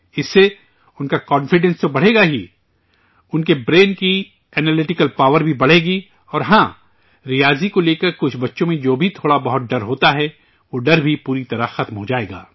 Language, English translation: Urdu, With this, their confidence will not only increase; the analytical power of their brain will also increase and yes, whatever little fear some children have about Mathematics, that phobia will also end completely